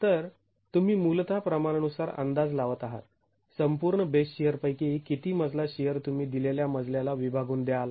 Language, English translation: Marathi, So, you are basically estimating in a proportionate manner how much floor shear of the total base shear should you apportion to a given story